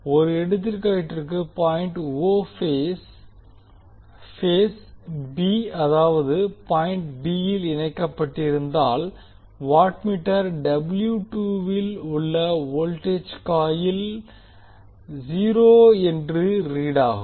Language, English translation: Tamil, So for example, if point o is connected to the phase b that is point b, the voltage coil in the watt meter W 2 will read 0